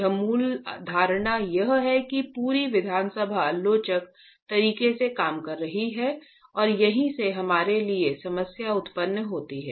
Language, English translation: Hindi, Assumption, the fundamental assumption here is the entire assembly is working in an elastic manner and that is where the problem arises for us